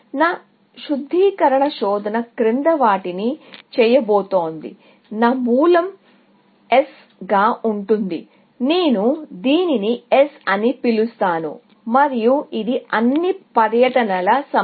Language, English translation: Telugu, My refinement search is going to do the following; that my root is going to be S; I will just call it S, and this is a set of all tours